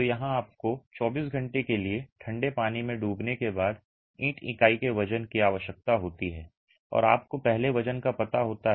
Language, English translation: Hindi, So, here you require the weight of the brick unit after immersion in cold water for 24 hours and you know the weight before